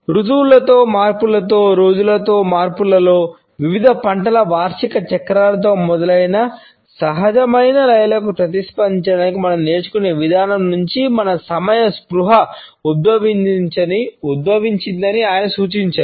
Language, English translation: Telugu, He suggests that our consciousness of time has emerged from the way we learn to respond to natural rhythms, which were associated with changes in the season, with changes during the days, annual cycles of different crops etcetera